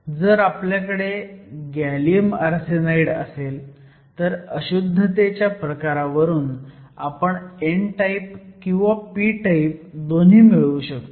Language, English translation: Marathi, So, if we have gallium arsenide depending upon the type of impurity, we can either have both n type and p type